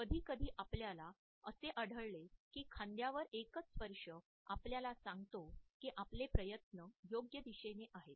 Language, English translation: Marathi, Sometimes we find that a single touch on the forearm tells us that our efforts are moving in the correct direction